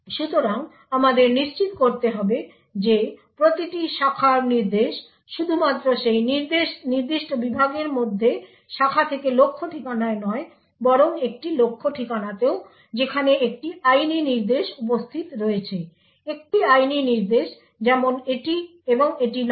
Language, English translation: Bengali, So, we need to ensure that every branch instruction not only branches to some target address inside that particular segment but also branches to a target address where a legal instruction is present, a legal instruction such as this and not this